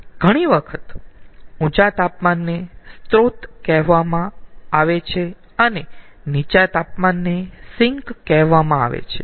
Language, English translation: Gujarati, many a times the high temperature reservoir is called a source and the low temperature reservoir is called a sink